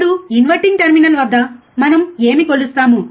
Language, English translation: Telugu, Now what we measure at inverting terminal